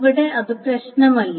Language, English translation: Malayalam, But here it doesn't matter